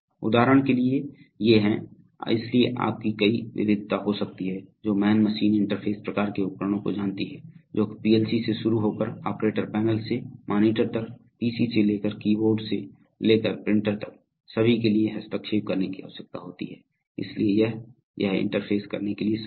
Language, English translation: Hindi, so there could be a variety of you know man machine interface kind of devices, which needs to be interfaced with a PLC starting from operator panels to monitors to pcs to key boards to printers, so all these it is, it is, it is possible to interface